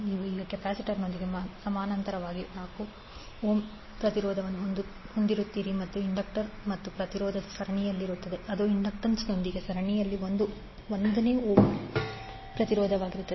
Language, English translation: Kannada, You will have 4 ohm resistance in parallel now with the capacitor and the inductor and resistance will be in series that is 1 ohm resistance in series with the inductance